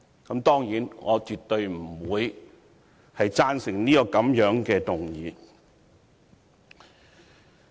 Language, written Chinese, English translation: Cantonese, 我當然絕對不會贊成這樣的議案。, It is certain that I absolutely will not support such a motion